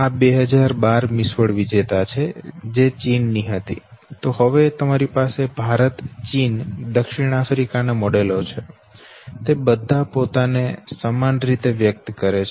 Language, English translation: Gujarati, Now let us go little back know, 2012 Miss World winner, who was from China, now you have models from India, China, South Africa all of them expressing themselves the same way okay